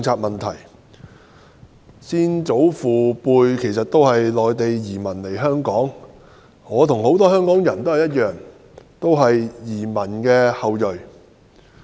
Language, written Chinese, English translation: Cantonese, 我的先祖父輩是內地來港的移民，我與很多香港人一樣，是移民的後裔。, My late grandfather was an immigrant from the Mainland . I am just like many Hong Kong people in the sense that we are all descendants of immigrants